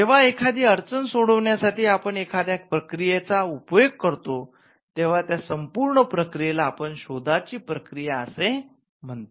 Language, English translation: Marathi, When there is a problem that is solved using a creative process this entire process is called Process of Innovation